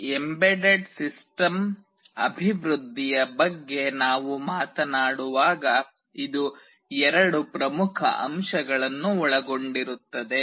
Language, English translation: Kannada, When we talk about this embedded system development, this involves two major components